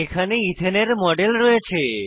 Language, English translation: Bengali, We will begin with a model of Ethane